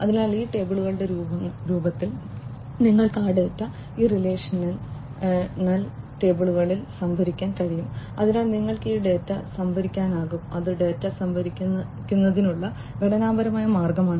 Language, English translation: Malayalam, So, you can store those data in these relational tables in the form of these tables you can store this data so that is structured way of storing the data